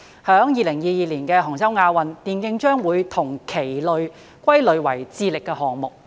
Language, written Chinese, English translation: Cantonese, 在2022年的杭州亞運會，電競將會與棋類歸類為"智力項目"。, In the 2022 Asian Games in Hangzhou e - sports will be grouped with chess as activities based on intellectual ability